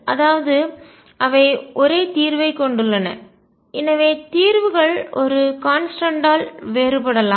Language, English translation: Tamil, So, they have the same solution and therefore, at most the solutions could differ by a constant